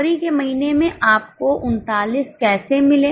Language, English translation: Hindi, In the month of February, how did you get 39